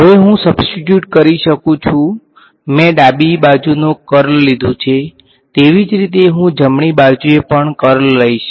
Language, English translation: Gujarati, Now, I can substitute this I mean this I took the curl on the left hand side similarly I will take the curl on the right hand side as well